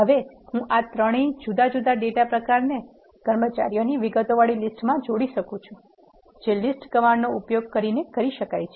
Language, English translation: Gujarati, Now, I can combine all these three different data types into a list containing the details of employees which can be done using a list command